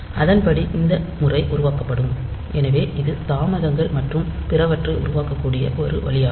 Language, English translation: Tamil, 2 and accordingly this pattern will be generated, so that is one way by which we can generate delays and all that